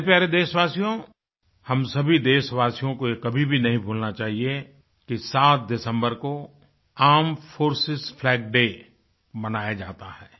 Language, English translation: Hindi, My dear countrymen, we should never forget that Armed Forces Flag Day is celebrated on the 7thof December